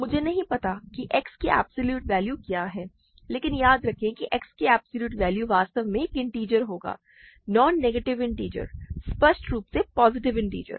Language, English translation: Hindi, I do not know what absolute value of x is, but remember absolute value of x will be also an integer in fact, a non negative integer; because; positive integer even